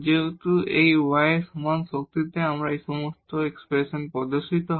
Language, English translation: Bengali, Since this y appears in all these expressions in the even power